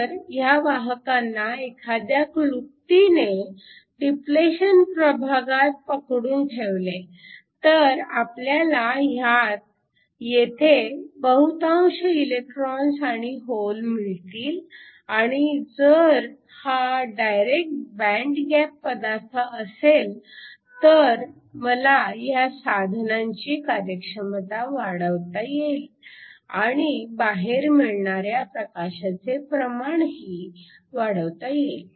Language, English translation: Marathi, So, If there is some way in which I can trap the carriers within the depletion region, so that I have a majority of holes and electrons within this and if it is a direct band gap material then I can improve the efficiency of device and also improve the amount of light output